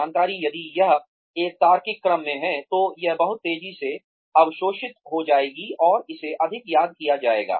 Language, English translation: Hindi, The information, if it is in a logical order, it will be absorbed much faster, and it will be remembered more